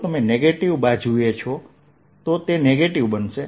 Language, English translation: Gujarati, if you are on the negative side, negative it's going to be